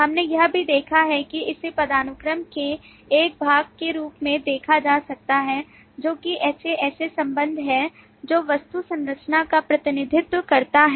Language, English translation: Hindi, We have also seen that it can be looked at as a part of hierarchy, which is the HAS A relationship, which represent the object structure